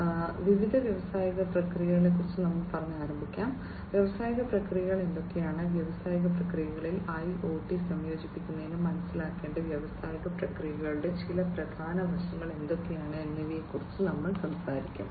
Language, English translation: Malayalam, To start with, we will talk about some of the issues concerning different industrial processes, what industrial processes are, and what are some of the important aspects of industrial processes that need to be understood in order to incorporate IoT into the industrial processes